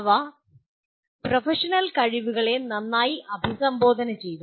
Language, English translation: Malayalam, They addressed the Professional Competencies